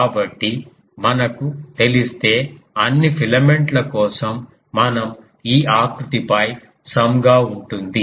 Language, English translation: Telugu, So, if we know that then for all the filaments we can just some that will be sum over all this contour